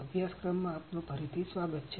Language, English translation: Gujarati, Welcome back to the course